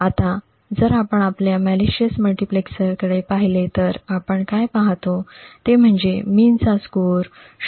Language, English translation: Marathi, Now if you actually look at our malicious multiplexer what we see is that the mean has a score of 0